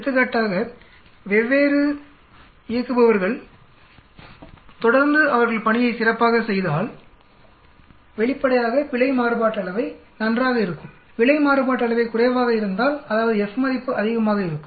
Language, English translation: Tamil, For example, different operators if they consistently there on is good then obviously, the error variance will be good, if the low in error variance will be low, that means the F value will be high